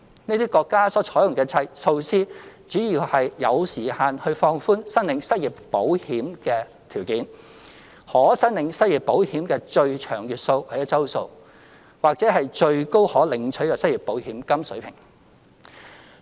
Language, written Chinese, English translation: Cantonese, 這些國家採用的措施，主要有時限地放寬申領失業保險的條件、可申領失業保險的最長月數或周數，或最高可領取的失業保險金水平。, The measures adopted by these countries mainly include the time - limited relaxation of the criteria for claiming unemployment insurance benefits the maximum number of months or weeks for claiming unemployment insurance benefits or the maximum level of claimable unemployment insurance benefits